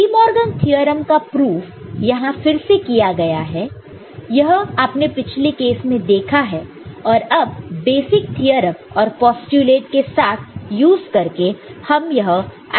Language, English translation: Hindi, And proof of De Morgan’s theorem it is done again this is what you have seen in the previous case that you can use basic theorems also along with postulates to derive the identity and or the proof